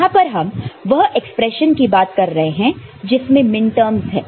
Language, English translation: Hindi, Here, we are talking about expression that has got minterms